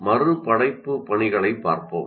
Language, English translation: Tamil, So let us look at reproduction tasks